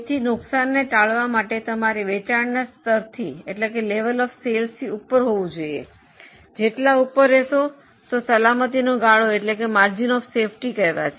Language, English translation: Gujarati, So to avoid losses you are above certain level of sales, how much you are above is the margin of safety